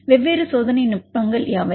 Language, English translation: Tamil, What are different experimental techniques